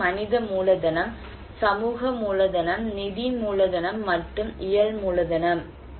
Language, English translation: Tamil, One is a human capital, social capital, financial capital and physical capital